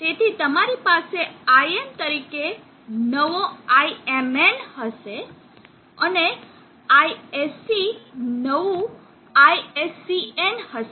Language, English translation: Gujarati, So you will have IM new IMN, and this will be ISC new, ISCN